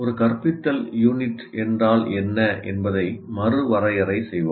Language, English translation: Tamil, Now let us again redefine what an instructional unit is